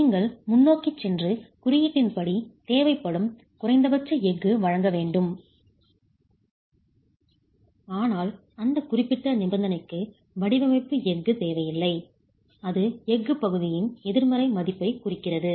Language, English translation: Tamil, You just have to then go ahead and provide minimum steel that is required as per the code, but there is no design steel required for that particular condition